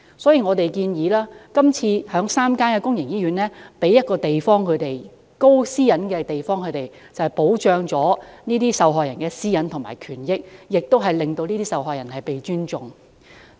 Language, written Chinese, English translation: Cantonese, 所以，今次的議案亦建議在3間醫院騰出私隱度高的空間，以保障受害人的私隱和權益，令受害人獲得尊重。, This is the reason why a proposal is put forward in the motion for designating a place with high privacy protection in three public hospitals to protect the privacy rights and interests of victims and ensure respect for them